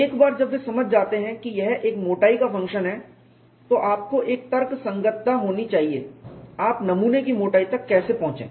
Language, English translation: Hindi, Once they understood it is a function of thickness, then you have to have a rationalization, how you should arrive at the thickness of the specimen